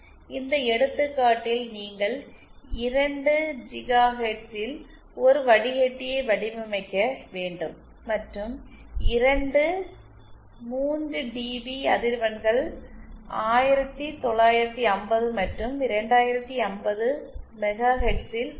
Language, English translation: Tamil, In this example you have to design a filter at 2 GHz and two 3dB frequencies are at 1950 and 2050 megahertz